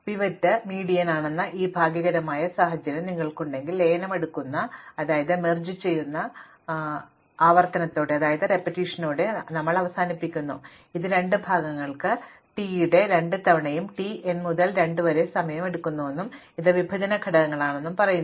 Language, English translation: Malayalam, And if you do have this fortunate situation that the pivot is the median, then we end up with the merge sort recurrence which says that t of n takes time 2 times t n by 2 for the two parts and this is the partitioning steps